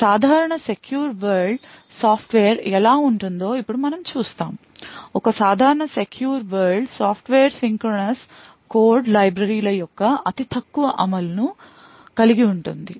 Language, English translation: Telugu, We now look at how a typical secure world software looks like, a typical secure world software would have implementations of very minimalistic implementations of synchronous code libraries